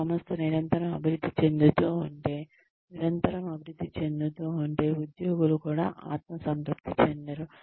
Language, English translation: Telugu, If your organization is constantly evolving, and constantly improving itself, the employees will also not become complacent